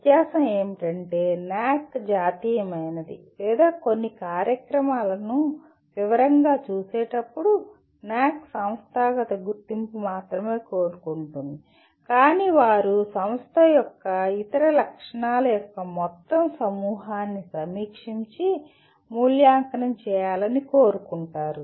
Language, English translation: Telugu, The difference is National or the NAAC wants only the institutional accreditation while they look at some programs in detail, but they want a whole bunch of other characteristics of the institute to be reviewed and evaluated